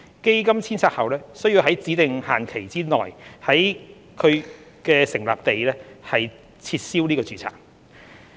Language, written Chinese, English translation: Cantonese, 基金遷冊後須在指定限期內在其成立地撤銷註冊。, The funds are required to deregister in their place of incorporation within a specified period of time after re - domiciliation